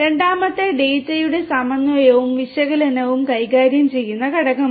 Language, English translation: Malayalam, Second is the component that deals with the synthesis and analysis of the data